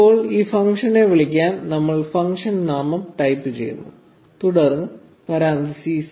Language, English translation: Malayalam, Now, to call this function, we type the function name followed by parenthesis